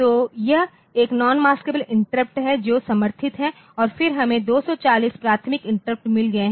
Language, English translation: Hindi, So, this is one non maskable interrupt that is supported and then we have got 240 prioritizable interrupts